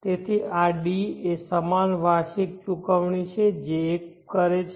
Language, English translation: Gujarati, So this D are the equal annual payments that one makes